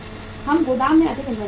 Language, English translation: Hindi, We keep more inventory in the godown